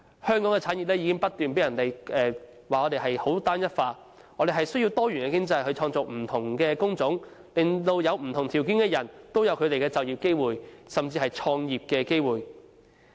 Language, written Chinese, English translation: Cantonese, 香港的產業被指單一化，我們需要多元經濟去創造不同的工種，令不同條件的人都有就業機會，甚至創業機會。, Hong Kongs industries have been over homogeneous . We need a diversified economy to create different kinds of jobs to provide employment and business start - up opportunities for people with different talents